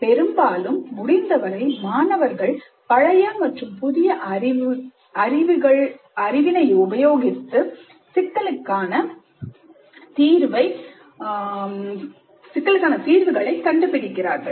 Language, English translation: Tamil, So as often as possible, allow the students to combine the newly acquired knowledge with the earlier knowledge and use this combined knowledge and skills to solve problems